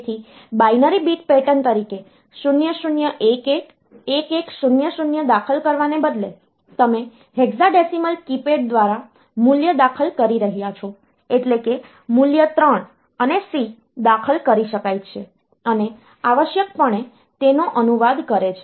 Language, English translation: Gujarati, So, instead of entering 0 0 1 1 1 1 0 0 as a binary bit pattern; so if you are entering the value through hexadecimal keypad, then the value 3 and c they can be entered and the essentially translates to that